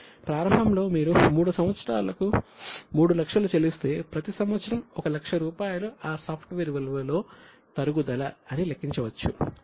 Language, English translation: Telugu, In the beginning if you pay 3 lakhs for 3 years, then you can calculate that for each year 1 lakh rupees is a fall in the value of that software